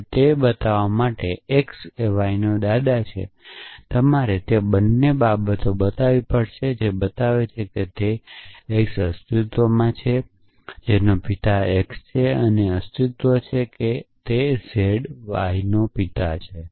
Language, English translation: Gujarati, Now to show that x is a grandfather of y, you would have to show both those things that show that there exist a z whose father is x and there exist I mean that same z is a father of y essentially